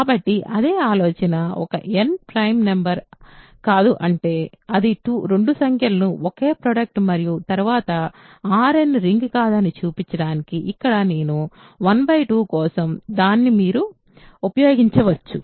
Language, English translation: Telugu, So, exactly the same idea if n is not a prime number, it is a product of 2 numbers and then, you can use what I have done here for 1 by 2 to show that R n is not a ring